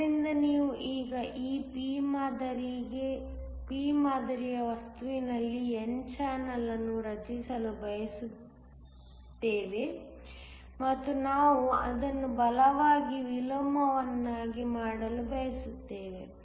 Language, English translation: Kannada, So, we now want to create n channel in this p type material and we want to make it a strong inversion